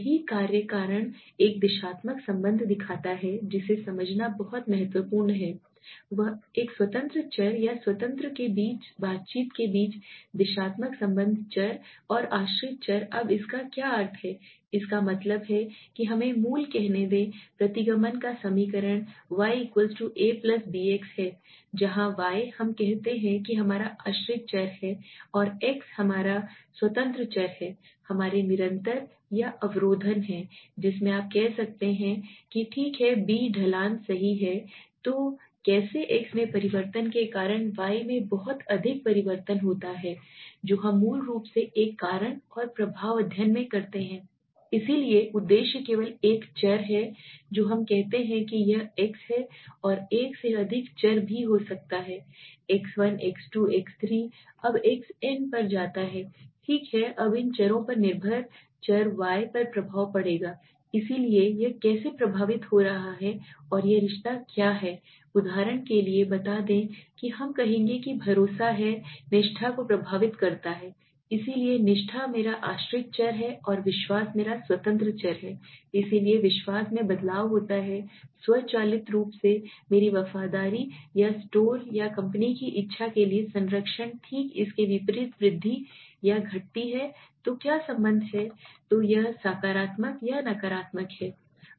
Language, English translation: Hindi, Also known as exploratory research it investigates the cause and effect relationships as I said right so causality shows a directional relationship that is very important to understand it is a directional relationship between an independent variable or interaction between the independent variable and the dependent variables now what does it mean it means that let us say the basic equation of regression is y=a+bx where y we say is our dependent variable the x is our independent variable a is our constant or intercept you can say okay b is the slope right so how much change happens in y due to change in x is what we do in a cause and effect study basically so purpose there is only one variable we say it is x there could be more than one variable also x1,x2,x3 goes on to xn okay now these variables will have an effect on the dependent variable y so how it is affecting and what is the relationship is it for example let us say we will say that trust affects loyalty so loyalty is my dependent variable and trust is my independent variable so if there is a change in trust automatically my loyalty or patronize for the store or company will vice versa increase or decrease okay so what is the relationship so if it is positive or negative that matters okay